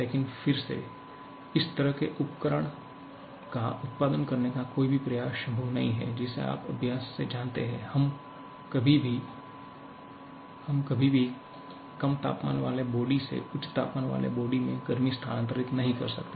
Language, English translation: Hindi, But again, any effort to produce such a device is not possible you know by practice, we can never transfer heat from a low temperature body to a high temperature body